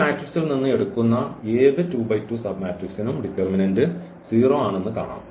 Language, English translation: Malayalam, So, any determinant we take of order 2 by 2 out of this matrix the answer is 0